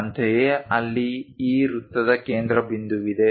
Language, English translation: Kannada, Similarly, there is center of this circle